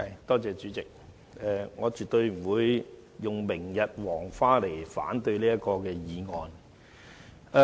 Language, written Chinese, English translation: Cantonese, 代理主席，我絕對不會以"明日黃花"為由來反對這項議案。, Deputy President I oppose this motion but definitely not for the reason that the incident is a thing of the past